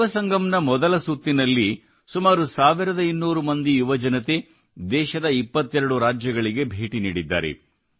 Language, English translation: Kannada, In the first round of Yuvasangam, about 1200 youths have toured 22 states of the country